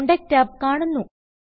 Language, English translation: Malayalam, The Contacts tab appears